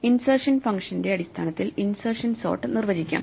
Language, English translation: Malayalam, Insertion sort can be defined in terms of insert function as follows